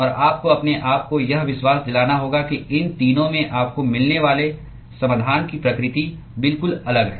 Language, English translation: Hindi, And you have to convince yourself that the nature of the solution you get in all these 3 are completely different